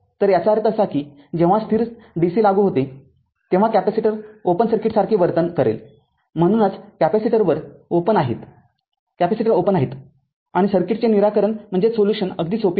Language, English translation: Marathi, So, this that means, how to that means whenever steady dc is applied right, capacitor will behave like open circuit that is why capacitors are open and circuits solution is very easy right